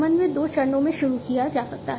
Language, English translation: Hindi, Coordination can be initiated in two steps